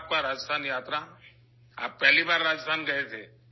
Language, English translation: Urdu, How was your Rajasthan visit